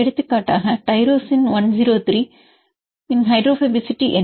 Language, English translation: Tamil, For example, what is the hydrophobicity of tyrosine 103